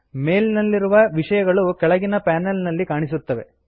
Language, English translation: Kannada, The contents of the mail are displayed in the panel below